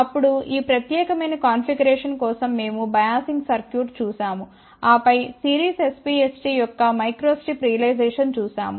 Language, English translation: Telugu, Then we had looked at the biasing circuit for this particular configuration and then micro strip realization of series SPST